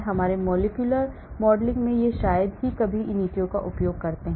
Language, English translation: Hindi, So in our molecular modeling we hardly use ab initio